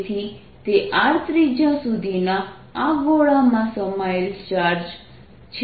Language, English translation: Gujarati, that is the charge which is contained in this sphere of radius small r